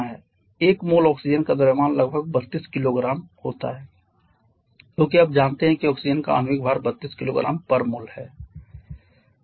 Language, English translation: Hindi, 1 mole of oxygen has a mass of approximately 32 kg because you know that the molecular rate of oxygen is 32 kg per kilo mole